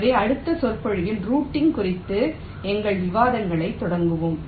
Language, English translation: Tamil, so in the next lecture we shall be starting our discussions on routing